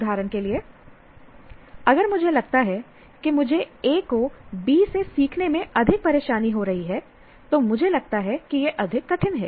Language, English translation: Hindi, For example, if I notice that I am having more trouble learning A than B